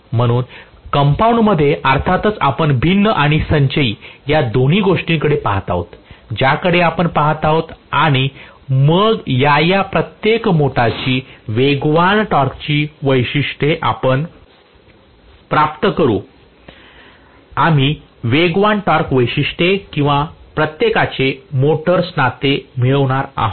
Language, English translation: Marathi, So in compound, of course, we will be looking at differential and cumulative both we will be looking at and then we will be deriving the speed torque characteristics for each of this motors, we will be deriving the speed torque characteristics or relationship for each of these motors